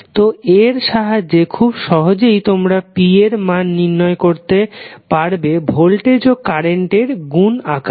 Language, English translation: Bengali, So, with this you can simply calculate the value of p as a multiplication of voltage and current